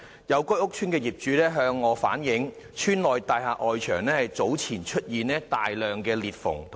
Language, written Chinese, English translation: Cantonese, 有該屋邨的業主向本人反映，邨內大廈外牆早前出現大量裂縫。, Some owners of the estate have relayed to me that earlier on many cracks appeared on the external walls of the buildings in the estate